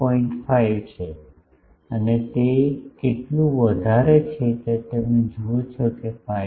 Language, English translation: Gujarati, 5 and it is oh sorry how much it is the highest you see it is 5